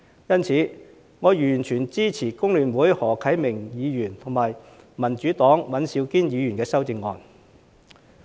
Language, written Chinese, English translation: Cantonese, 因此，我完全支持工聯會的何啟明議員和民主黨的尹兆堅議員的修正案。, Therefore I fully support the amendments proposed by Mr HO Kai - ming of FTU and Mr Andrew WAN of the Democratic Party